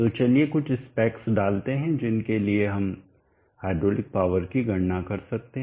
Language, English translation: Hindi, So let us put down some specs for which we can calculate the hydraulic power